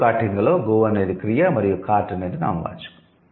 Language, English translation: Telugu, So, go carting, go is the verb and cart is the noun